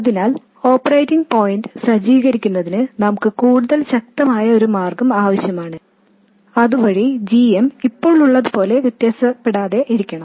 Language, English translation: Malayalam, So we need to have a more robust way of setting up the operating point so that the GM doesn't vary as much as it does not